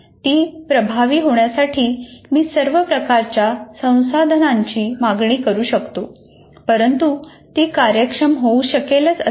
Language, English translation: Marathi, I can ask for all kinds of resources for it to be effective, but it may not be efficient